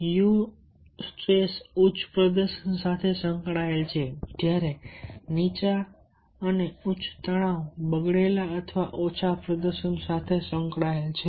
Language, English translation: Gujarati, so eu stress is associated with high performance where is low and high stress are associated with deteriorated or low performance